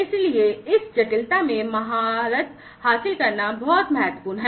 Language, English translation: Hindi, So, mastering this complexity is very important